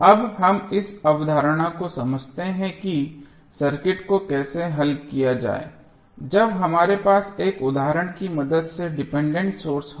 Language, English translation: Hindi, Now, let us understand this concept of how to solve the circuit when we have the dependent source with the help of one example